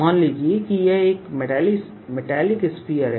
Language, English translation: Hindi, suppose this was a metallic sphere